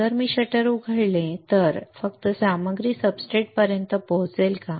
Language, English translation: Marathi, If I open the shutter then only the materials will reach the substrate right